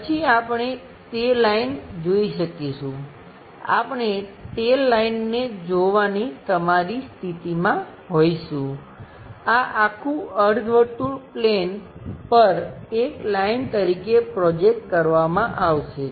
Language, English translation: Gujarati, Then we will be in a position to see that line, we will be in your position to see that line, this entire semi circle that will be projected as one line on a plane